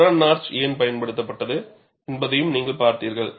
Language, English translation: Tamil, You also saw, why chevron notch was used